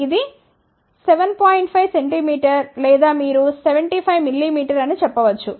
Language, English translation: Telugu, 5 centimeter or you can say 75 mm